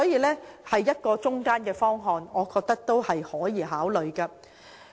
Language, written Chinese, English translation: Cantonese, 這是一個折衷的方案，我認為值得考慮。, This is a compromise which I consider worthy of consideration